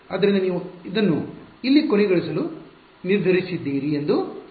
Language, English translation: Kannada, So, let us say you decided to terminate it here